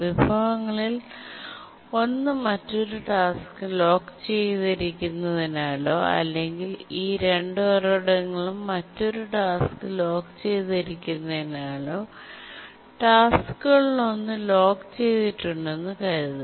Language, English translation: Malayalam, And let's assume that one of the tasks is locked by one of the resources is locked by another task or both the resources are locked by other task and then let's assume that this task requires the first resource